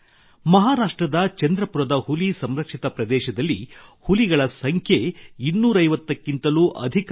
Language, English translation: Kannada, The number of tigers in the Tiger Reserve of Chandrapur, Maharashtra has risen to more than 250